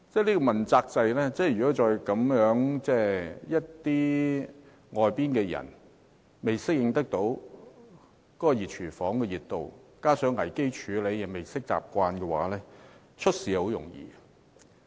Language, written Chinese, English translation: Cantonese, 在問責制之下，外界人士如果未適應"熱廚房"的熱度，未習慣危機處理，便很容易出事。, Under the accountability system outsiders will easily run into trouble if they do not adapt to the heat inside this hot kitchen and if they are not accustomed to crisis management